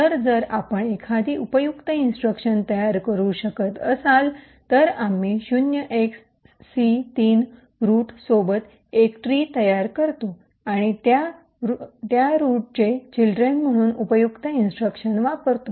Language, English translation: Marathi, So, if you are able to form a useful instruction, we create a tree with c3 as the root and that useful instructions as children of that root